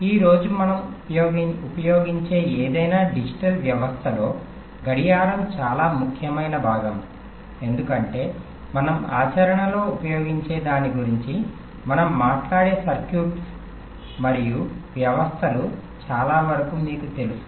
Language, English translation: Telugu, clock is a very important component of any digital systems that we use today because, as you know, most of the circuits and systems that we talk about that we use in practise are sequential in nature